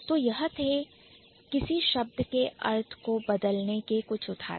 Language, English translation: Hindi, So, these are a few instances of changing the meaning of a word